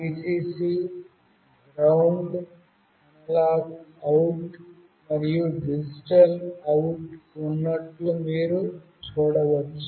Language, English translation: Telugu, You can see there is a Vcc, GND, analog out, and a digital out